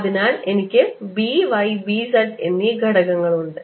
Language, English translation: Malayalam, so i have b, y and b z